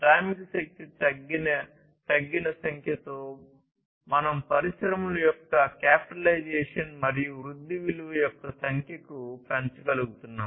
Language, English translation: Telugu, So, with reduced number of workforce, we are able to increase the number of the value of capitalization and growth of the industries